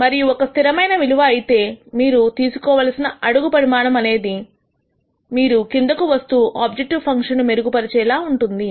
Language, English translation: Telugu, And if this is a constant value the size of the step you are going to take is going to come down and also the improvement in your objective function is going to come down